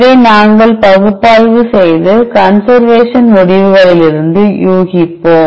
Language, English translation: Tamil, Further we will analyze this and infer from the conservation results